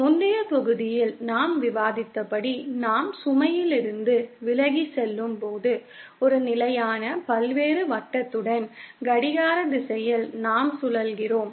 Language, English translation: Tamil, As we have discussed in the previous module that as we move away from the load, we traverse a clockwise rotation along a constant various circle